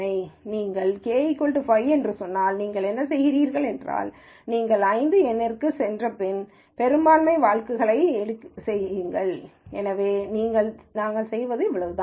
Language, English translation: Tamil, Now if you said k is equal to 5 then what you do is, you go down to 5 numbers and then do the majority vote, so that is all we do